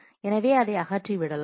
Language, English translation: Tamil, So, you remove that